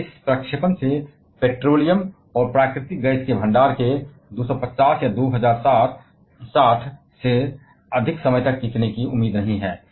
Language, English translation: Hindi, And just going by this projection the stock of petroleum and natural gas are not expected to last longer than 2050 or 2060